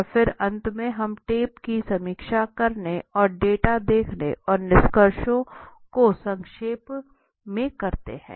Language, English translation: Hindi, And then finally we review the tape and analyze the data and summarize the findings okay